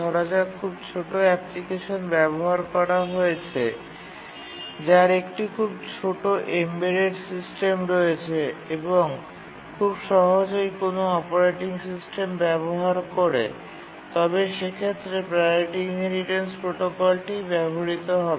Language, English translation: Bengali, If you are using a very small application, a small embedded system which hardly has a operating system, then the priority inheritance protocol is the one to use